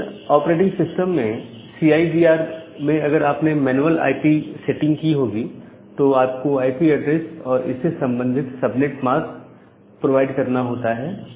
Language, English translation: Hindi, So, in case of CIDR if you have done this manual IP, manual IP setting in different operating systems, so you have to provide the IP address and the corresponding subnet mask